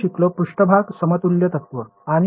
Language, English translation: Marathi, We studied surface equivalence principle and